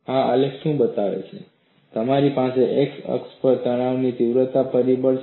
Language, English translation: Gujarati, What this graph shows is, you have stress intensity factor on the x axis